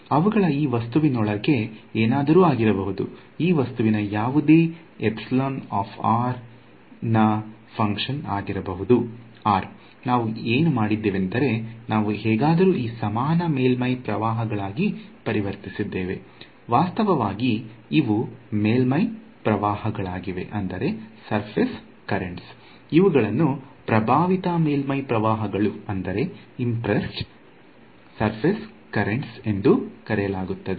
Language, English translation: Kannada, So, they may be anything happening inside this object this object can have any epsilon as a function of r; what we have done is we have some somehow converted that into this equivalent surface currents actually these are surface currents these are called impressed surface currents